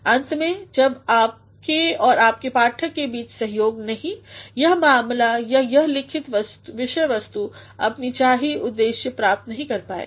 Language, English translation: Hindi, Ultimately, unless and until there is a co operation between you and the reader, the matter or the written material will not meet its desired purpose